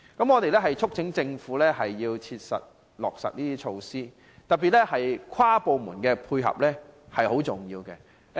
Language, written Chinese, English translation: Cantonese, 我們促請政府切實落實有關措施，跨部門的配合尤其重要。, We urge the Government to practically implement these initiatives with inter - departmental coordination being particularly important